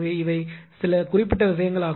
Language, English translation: Tamil, So, these are these are the certain things